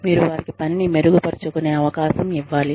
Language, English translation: Telugu, You need to give them, some chance to improve